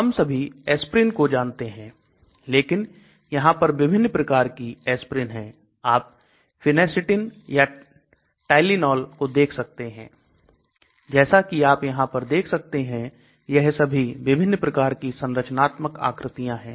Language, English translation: Hindi, We all know aspirin, but there are different types of aspirin just you can see Phenacetin, then Tylenol so all of them have different type of structural features as you can see here